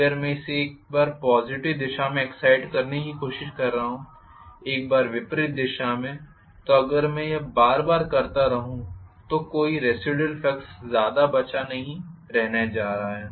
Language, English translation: Hindi, I will try to excite it only in one particular direction, if I am trying to excite it once in the positive direction, once in the opposite direction, then if I keep that keep doing that repeatedly I am not going to have any residual flux leftover not much really